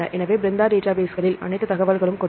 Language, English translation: Tamil, So, all the information they give in the Brenda database